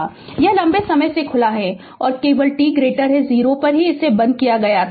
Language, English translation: Hindi, It has open for a long time and only at t greater than 0 it was closed